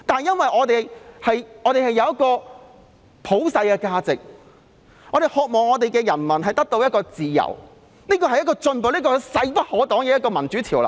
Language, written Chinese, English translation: Cantonese, 可是，我們擁有普世價值，我們渴望人民可以得到自由，這便是進步，也是勢不可擋的民主潮流。, However we uphold universal values and aspire to freedom for the people . This is a step forward and the unstoppable tide of democracy